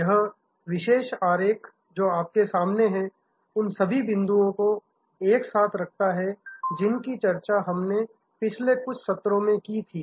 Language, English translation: Hindi, This particular diagram which is in front of you puts together all the points that we discussed in the last couple of sessions